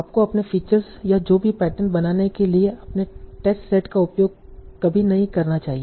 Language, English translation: Hindi, So you should never use your test set for building your features or whatever patterns